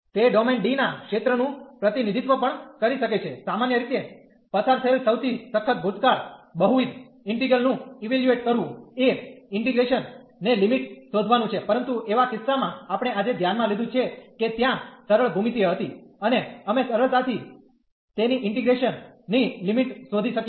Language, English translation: Gujarati, The hardest past hardest passed usually is the evaluating multiple integral is the finding the limits of integration, but in cases which we have considered today there was simple a geometry and we can easily find the limits of integration